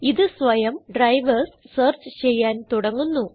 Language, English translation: Malayalam, Then it will automatically begin searching for drivers